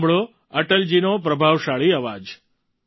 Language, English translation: Gujarati, Listen to Atal ji's resounding voice